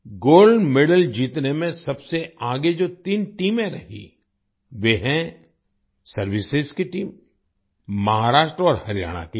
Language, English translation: Hindi, The three teams that were at the fore in winning the Gold Medal are Services team, Maharashtra and Haryana team